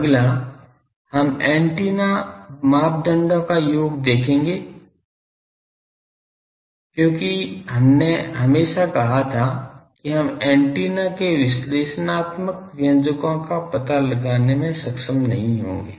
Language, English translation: Hindi, Next, we will see the sum of the antenna parameters because always we said that we would not be able to find out the analytical expressions of the antenna